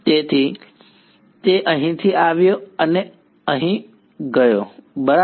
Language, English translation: Gujarati, So, it came from here and went here ok